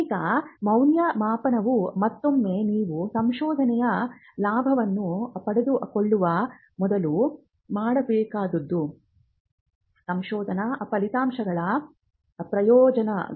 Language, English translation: Kannada, Now, the evaluation is again it is something that has to be done before you actually reap the benefits of the research; benefits of the research results